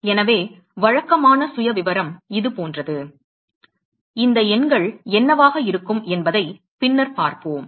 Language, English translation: Tamil, So, then the typical profile is something like this does not matter what these numbers are we will see that later